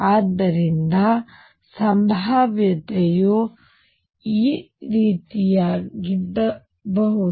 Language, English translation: Kannada, So, potential could be something like this